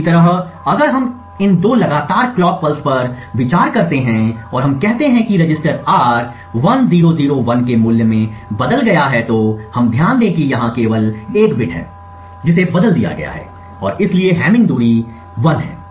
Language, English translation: Hindi, Similarly, if we consider these two consecutive clock pulses and let us say that the register R has changed to a value of 1001, we note that here there is only one bit that has been changed and therefore the hamming distance is 1